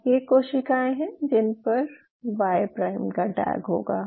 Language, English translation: Hindi, So now, these cells will have a tag Y prime, now what I have to do